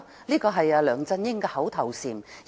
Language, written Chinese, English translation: Cantonese, 這是梁振英的口頭禪。, This has been the mantra of LEUNG Chun - ying